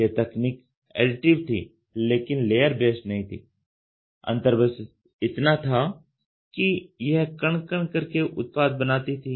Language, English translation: Hindi, This technology was additive, but not layer based understand the difference this was particle by particle was impinged